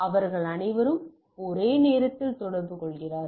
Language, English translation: Tamil, So, and they all are communicating at the simultaneously